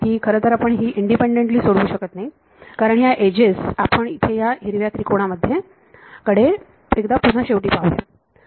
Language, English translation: Marathi, Well we cannot independently solve it because those edges finally, like the last look at this green triangle over here we